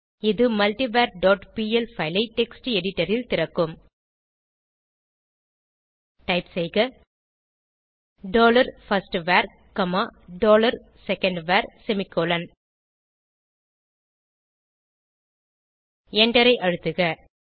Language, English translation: Tamil, This will open multivar dot pl file in text editor Now type dollar firstVar comma dollar secondVar semicolon and press Enter